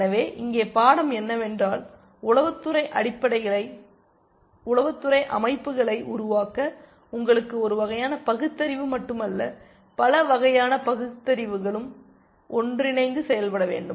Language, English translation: Tamil, So, which is the, thus the lesson here is that to build intelligence systems, you need not just one form of reasoning, but many forms of reasoning working together